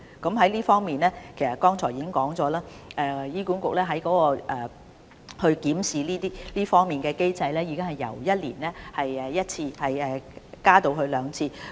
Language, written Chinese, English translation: Cantonese, 在這方面，其實我剛才已經指出，醫管局檢視這方面的機制已經由每年一次增加至兩次。, In this regard as I already said just now HA has increased the review frequency from once a year to twice a year